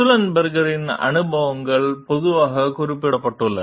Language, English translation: Tamil, Sullenberger s experiences commonly mentioned